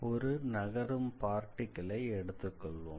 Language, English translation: Tamil, Suppose, we have a moving particle